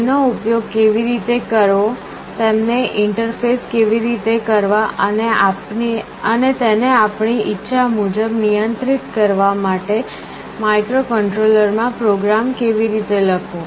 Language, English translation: Gujarati, How to use them, how to interface them, and how to write a program in the microcontroller to control them in the way we want